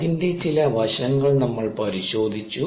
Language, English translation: Malayalam, we look at some aspects of that